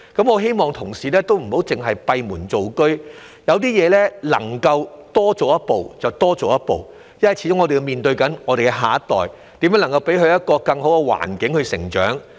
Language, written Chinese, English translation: Cantonese, 我希望同事不要只閉門造車，對一些事情，能夠多做一步便多做一步，因為我們始終是面對我們的下一代，要想想如何給他們有一個更好的成長環境。, I hope that colleagues in the Government will not simply work behind closed doors but take the extra step whenever possible with regards to certain matters because after all we are talking about our next generation and have to think about how to give them a better environment to grow up in